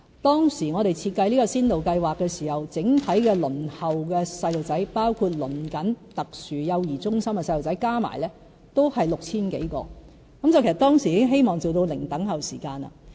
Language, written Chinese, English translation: Cantonese, 當時我們設計這項先導計劃時，整體輪候的小朋友，包括正在輪候特殊幼兒中心的小朋友，加起來都是 6,000 多人，其實當時已希望做到"零輪候"時間。, When we designed the pilot scheme the total number of waiting children including those awaiting SCCC places was some 6 000 . At that time we already intended to achieve zero - waiting time for the services